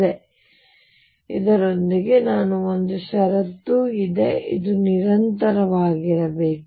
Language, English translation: Kannada, And with this also there is one more condition this should be continuous